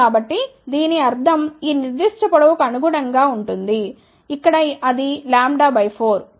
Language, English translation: Telugu, So, that means, corresponding to this particular length, where it is lambda by 4